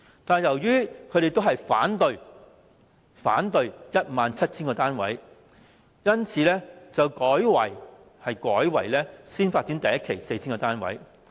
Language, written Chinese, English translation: Cantonese, 但是，由於他們一致反對興建 17,000 個單位，因此後來改為第1期先發展 4,000 個單位。, As they unanimously opposed to constructing 17 000 units the Government subsequently changed its plan to proceed with Phase 1 first and construct 4 000 units